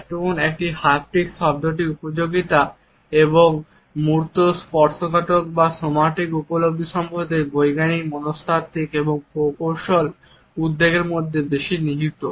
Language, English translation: Bengali, And utility of the term haptics now lies more in scientific psychological and engineering concerns about embodied tactile or somatic perceptions